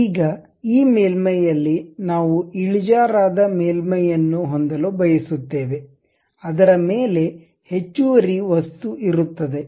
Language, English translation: Kannada, Now, on this surface, we would like to have a inclined surface on which there will be additional thing